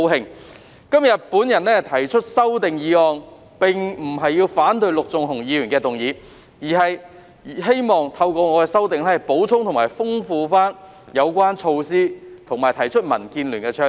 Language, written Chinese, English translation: Cantonese, 我今天提出修正案，並不是反對陸頌雄議員的議案，而是希望透過我的修訂，補充和豐富有關措施，以及提出民建聯的倡議。, I have proposed my amendment today not because I oppose Mr LUK Chung - hungs motion . Rather I hope to through my amendment supplement and enrich the relevant measures and bring forward the proposals of the Democratic Alliance for the Betterment and Progress of Hong Kong DAB